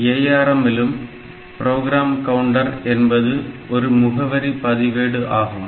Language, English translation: Tamil, So, in case of ARM, so, is this program counter will call instruction address register